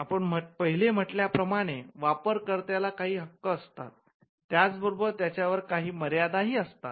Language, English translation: Marathi, As we said these are rights of the user and there are certain restrictions on those rights